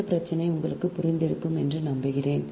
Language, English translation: Tamil, i hope this problem is you have understood right